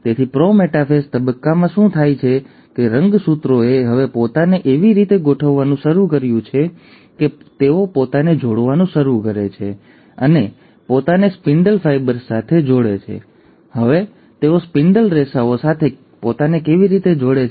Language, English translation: Gujarati, So in the pro metaphase stage, what happens is that the chromosomes have now started arranging themselves in a fashion that they start connecting themselves and attaching themselves to the spindle fibres, and now how do they attach themselves to the spindle fibres